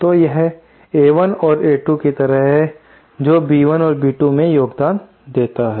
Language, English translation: Hindi, So, it is like A1 and A2 contribute to B1 and B2